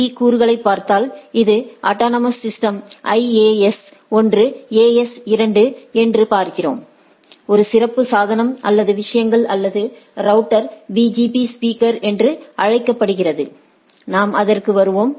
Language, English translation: Tamil, So, if we look at the BGP components, so we see if this is the autonomous system AS1, AS2, so, there are several thing one special device or things or router is called BGP speaker we will come to that